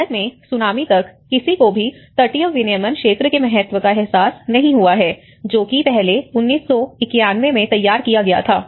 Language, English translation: Hindi, In India, until the Tsunami, no one have realized the importance of coastal regulation zone which was earlier formulated in 1991